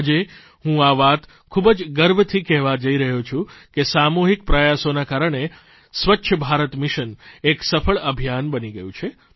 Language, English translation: Gujarati, Today, I'm saying it with pride that it was collective efforts that made the 'Swachch Bharat Mission' a successful campaign